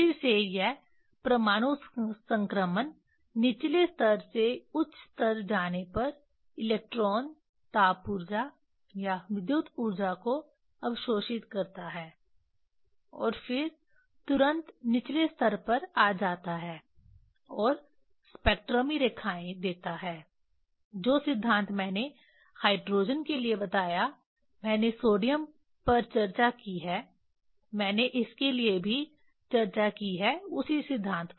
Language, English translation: Hindi, again this atomic transition from lower level to higher level electron goes absorbing the heat energy or the electricity electrical energy and then immediately it come to the lower level and gives the spectral lines whatever the principle for hydrogen I have discussed sodium; I have discussed for this also same principle